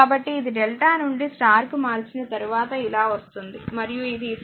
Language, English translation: Telugu, So, this is your after delta 2 star conversion, and this is the other 2 part 8